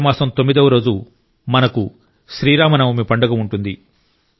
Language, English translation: Telugu, On the ninth day of the month of Chaitra, we have the festival of Ram Navami